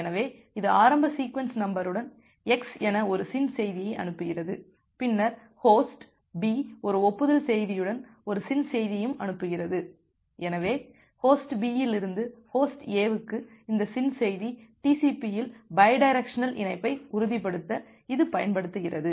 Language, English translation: Tamil, So, it sends a SYN message with the initial sequence number as x, then Host B sends an acknowledgment message along with also a SYN message, so this SYN message from Host B to Host A, it is used to ensure the bidirectional connection in TCP